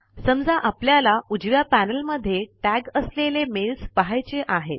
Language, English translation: Marathi, Suppose we want to view only the mails that have been tagged, in the right panel